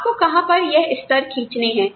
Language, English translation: Hindi, You have to decide, where you draw these levels